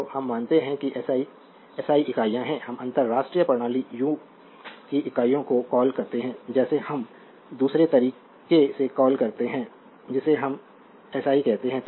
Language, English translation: Hindi, So, we follow that your what you call that SI is SI units, we call international system u of units in sort we call other way we call is SI right